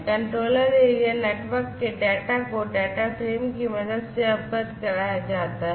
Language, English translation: Hindi, The data in Controller Area Network is conveyed with the help of data frame like before, right